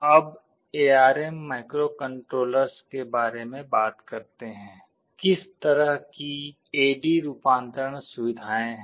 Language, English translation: Hindi, Now, talking about the ARM microcontrollers, what kind of A/D conversion facilities are there